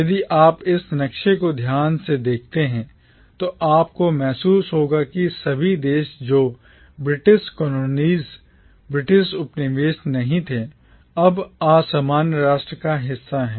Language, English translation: Hindi, If you look at this map carefully, you will realise that not all countries which were British colonies are now part of the commonwealth